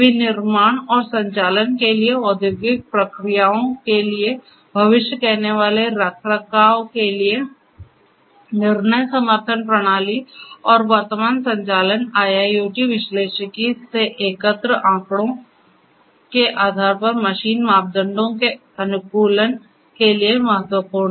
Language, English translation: Hindi, For manufacturing and operations, predictive maintenance, decision support systems for industrial processes and for optimizing machine parameters based on the collected data from the current operations IIoT analytics is important